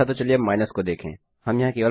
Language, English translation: Hindi, Okay now lets try minus